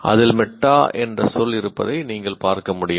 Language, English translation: Tamil, As you can see, there is a word meta in that